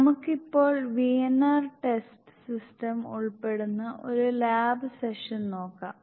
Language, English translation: Malayalam, Let us now see a lab session involving the VNR test system